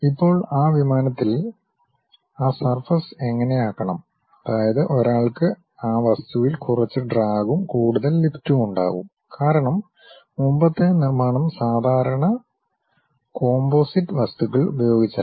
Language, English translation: Malayalam, Now, how that surface supposed to be turned on that aeroplane such that one will be having less drag and more lift on that object; because, earlier day construction were not on using typical composite materials